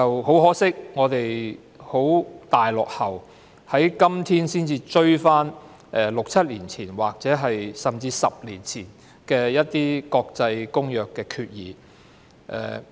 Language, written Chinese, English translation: Cantonese, 很可惜，我們現已非常落後，在今天才追趕6年、7年甚至10年前的《公約》決議。, Unfortunately we have lagged far behind and we have to wait till today to catch up and comply with the resolutions on the Convention implemented six or seven or even ten years ago